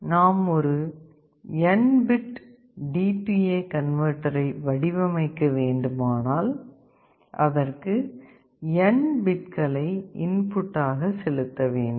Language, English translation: Tamil, Let us consider the design of an n bit D/A converter; in general there are n number of bits that are coming in the input